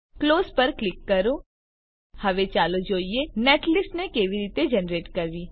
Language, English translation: Gujarati, Click on Close Now let us see how to generate netlist